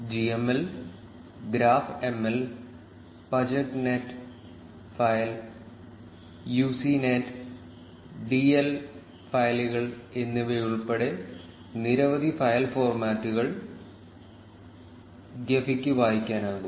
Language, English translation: Malayalam, Gephi can read many file formats including gml, graphml, pajek net file and uci net, dl files